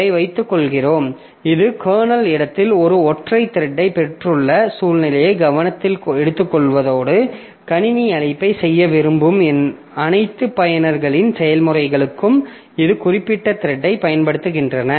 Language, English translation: Tamil, So, we just take this, take into consideration in the situation that we have got a single thread here in the kernel space and all the user's user processes that wants to make system call will be utilizing this particular thread